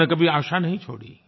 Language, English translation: Hindi, He never gave up hope